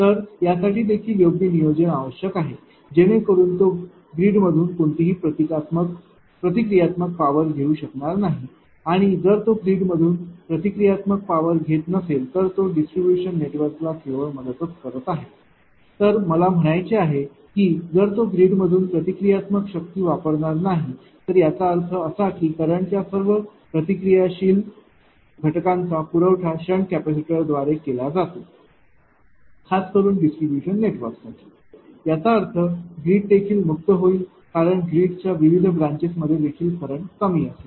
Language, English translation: Marathi, So, that is that is also proper planning is required such that it will not draw any reactive power from the grid and ah not only it is helping the distribution network if it draws ah I mean if it is not drawing reactive power from the grid means; that means, that is all the reactive component of the current is supplied by the sand capacitor particularly for the distribution network it means that grid also will be relieved right, because in the grid also that ah current current will be less in various branches